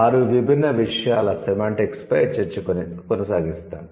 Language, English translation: Telugu, So, the discussion on semantics of six different things